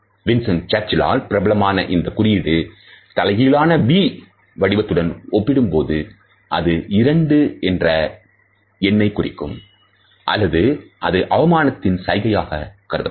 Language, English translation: Tamil, In comparison to this victory sign which is been popularized by Winston Churchill, there is an inverted v sign also which may either convey two in number or it can also be constituted as a gesture of insult